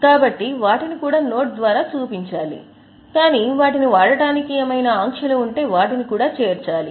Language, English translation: Telugu, So, they should also be shown by way of note but if there are restrictions on use of them they should also be disclosed